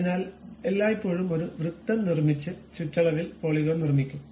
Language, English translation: Malayalam, So, it is all the time construct a circle around which on the periphery the polygon will be constructed